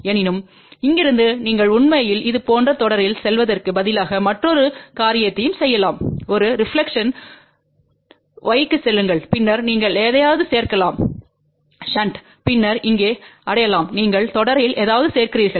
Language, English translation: Tamil, However, from here you can also do another thing instead of going in series like this you can actually take a reflection go to y and then you can add something in shunt and then reach over here then you add something in series